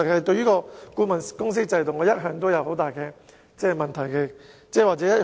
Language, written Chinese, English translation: Cantonese, 對於顧問公司制度，我一向也抱很大疑問和異議。, I have all along had serious doubts about and strong objection to the consultancy system